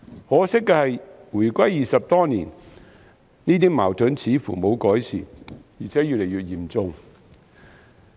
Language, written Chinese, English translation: Cantonese, 可惜的是回歸已20多年，這些矛盾似乎沒有改善，而且越見嚴重。, Regrettably it has been more than 20 years since reunification such conflicts seem to have become more and more serious instead of being mitigated